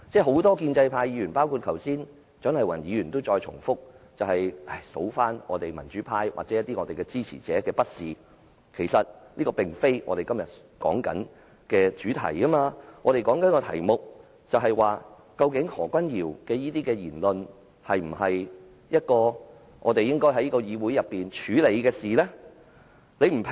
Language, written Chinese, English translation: Cantonese, 很多建制派議員，包括蔣麗芸議員剛才也在重複數算民主派或我們一些支持者的不是，但這其實並非我們今天的討論主題，我們正在討論的議題是何君堯議員這類言論，是否我們應在議會內處理的事情？, Just now many pro - establishment Members including Dr CHIANG Lai - wan had repeatedly enumerated the faults of the pro - democrats and our supporters but actually this is not the subject of our discussion today . The subject we are discussing today is whether such kind of remark by Dr Junius HO should be an issue handled by us within the Council?